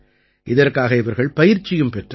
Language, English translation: Tamil, They had also taken training for this